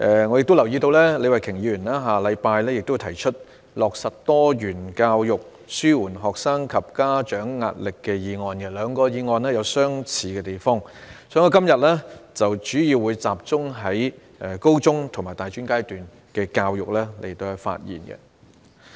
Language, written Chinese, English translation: Cantonese, 我亦留意到李慧琼議員會在下星期提出"落實多元教育紓緩學生及家長壓力"的議案，兩項議案有相似的地方，所以我今天會集中就高中及大專階段的教育發言。, I also notice that Ms Starry LEE is going to propose the motion on Implementing diversified education to alleviate the pressure on students and parents next week . Since the two motions have some similarities I will focus my speech on senior secondary and tertiary education today